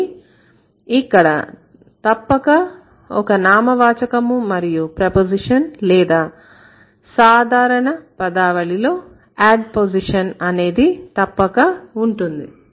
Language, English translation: Telugu, But for sure there would be a noun and there would be either a preposition or in generic terms we call it ad position